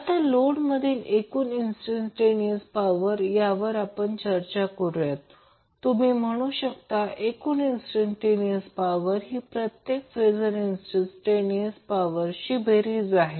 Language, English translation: Marathi, Now total instantaneous power in the load, you can say the total instantaneous power will be the sum of individual phase instantaneous powers